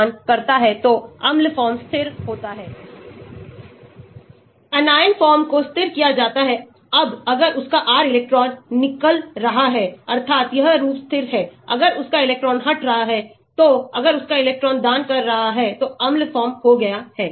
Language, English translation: Hindi, Acid form is stabilized if R is electron donating, anion form is stabilized, if his R is electron withdrawing that means, this form is stabilized, if its electron withdrawing, acid form is stabilized if its electron donating